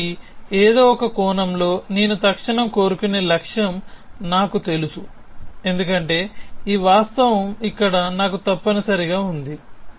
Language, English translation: Telugu, So, in some sense I know the target to which I want to instantiate because I have this fact here essentially